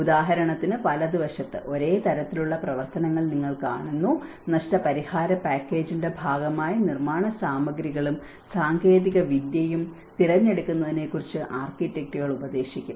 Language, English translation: Malayalam, For example, on the right hand side, you see for the same kind of activities, architects will advise on the selection of building materials and technology that were part of the compensation package